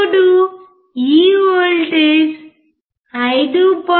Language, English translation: Telugu, The voltage is close to 5